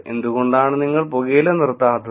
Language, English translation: Malayalam, Why do not you stop tobacco